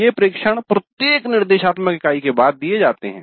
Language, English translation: Hindi, These observations are given after every instructor unit